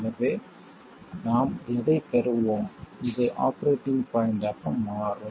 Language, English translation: Tamil, This will turn out to be this is the operating point